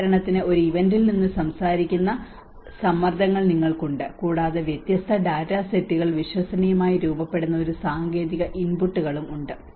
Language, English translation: Malayalam, Like for instance, you have the stresses which talks from an event, and there is a technical inputs which the data different sets of data come into forms the credible